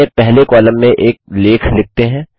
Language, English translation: Hindi, Let us write an article in our first column